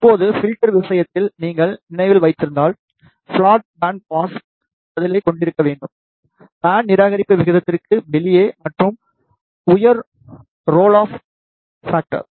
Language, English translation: Tamil, Now, if you remember in case of filter it is desired to have the flat band pass response, high out of band rejection ratio and high role of factor